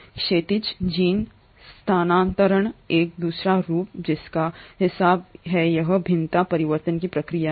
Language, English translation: Hindi, The other form of horizontal gene transfer, which accounts for this variation, is the process of transformation